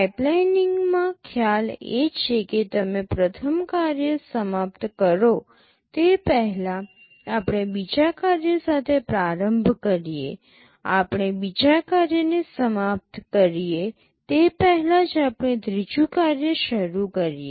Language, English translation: Gujarati, In pipelining the concept is that even before you finish the first task, we start with the second task, even before we finish the second task we start the third task